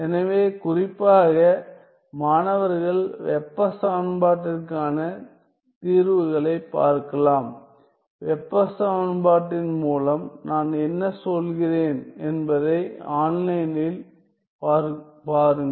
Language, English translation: Tamil, So, in particular the students can look at solutions to heat equation; please see online what do I mean by heat equation